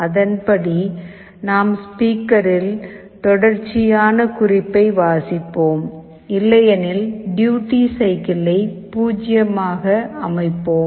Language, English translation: Tamil, Accordingly we play a continuous note on the speaker, but otherwise we set the duty cycle to 0